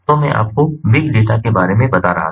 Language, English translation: Hindi, so i was mentioning to you about big data